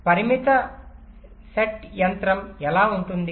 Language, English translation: Telugu, so how does a finite set machine look like